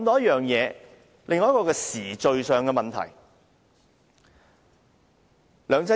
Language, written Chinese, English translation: Cantonese, 現在我想談談時序上的問題。, Now I would like to talk about timing